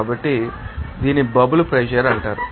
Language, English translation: Telugu, So, it will be called as bubble pressure